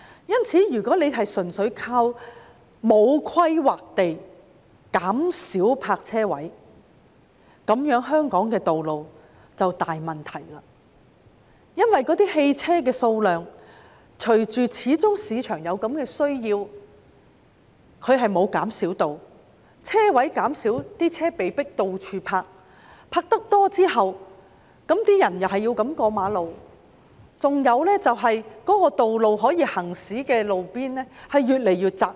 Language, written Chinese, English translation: Cantonese, 因此，如果單靠沒有規劃地減少泊車位，香港的道路便會出現很大問題，因為市場始終有此需求，汽車數量沒有減少，但泊車位減少，為數不少的車輛被迫四處停泊，市民又要橫過馬路，令可供行車的道路越來越窄。, Therefore if we merely rely on the reduction of parking spaces without planning the roads in Hong Kong will have serious problems . It is because there is always such a demand in the market when the number of parking spaces has decreased but the number of vehicles remains the same many people will be forced to park their vehicles all around . People have to cross the roads as well making the roads available for traffic narrower and narrower